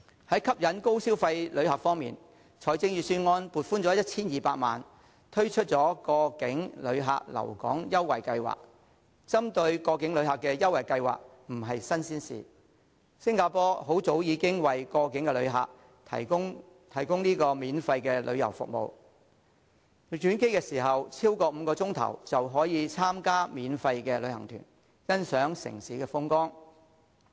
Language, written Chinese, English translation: Cantonese, 在吸引高消費旅客方面，預算案撥款 1,200 萬元推出過境旅客留港優惠計劃，針對過境旅客的優惠計劃不是新鮮事，新加坡很早已經為過境旅客提供免費旅遊服務，只要轉機時間超過5小時，便可以參加免費旅行團，欣賞城市風光。, In terms of attracting high - spending visitors the Budget has earmarked 12 million for implementing a promotional scheme targeting transit passengers in Hong Kong . Introducing schemes with promotional offers to transit passengers is nothing new . Singapore started to provide free tourism services to transit passengers long ago